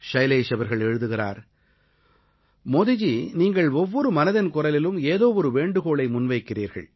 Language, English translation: Tamil, Shailesh writes, "Modi ji, you appeal to us on one point or the other, in every episode of Mann Ki Baat